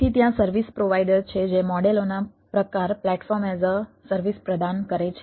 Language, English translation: Gujarati, so there are service provider who provide platform as a service type of models